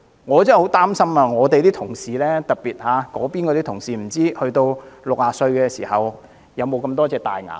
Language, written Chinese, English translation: Cantonese, 我真的很擔心我們的同事，特別是那邊的同事，不知道他們到60歲時可否保存這麼多顆牙齒。, I am really very worried about our colleagues particularly those of the other side . I do not know whether they will still have that many teeth when they reach 60